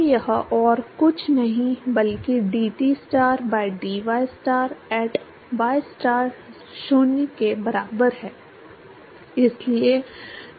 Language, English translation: Hindi, So, this is nothing but dTstar by dystar at ystar equal to 0